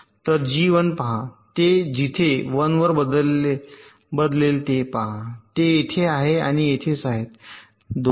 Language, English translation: Marathi, so look at g one, c, wherever it changes to one, it is here and here, right, these two faults